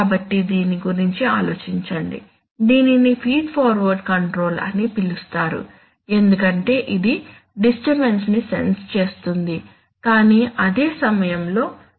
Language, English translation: Telugu, So ponder over it, it could be called a feed forward control because it is sensing the disturbance, but at the same time there is also a feedback loop